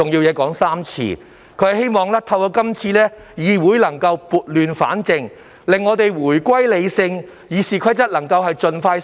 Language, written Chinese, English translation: Cantonese, 他希望透過今次的修訂，議會能撥亂反正，回歸理性討論。, He hopes that the Council will be able to put things back on track so that rational discussions may resume